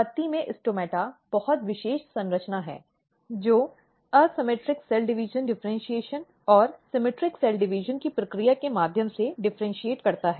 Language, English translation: Hindi, So, if we look this stomata, stomata are very special structure in the leaf, which differentiate through the process of asymmetric cell division differentiation and symmetric cell division